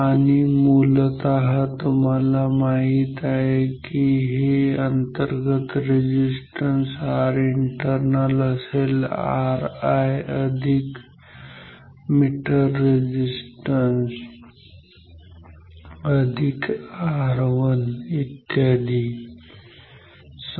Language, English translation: Marathi, So, this is basically you know this R internal is r i that are resistance per plus meter resistance plus R 1 etcetera anything everything ok